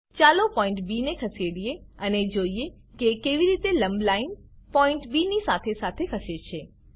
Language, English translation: Gujarati, Lets Move the point B, and see how the perpendicular line moves along with point B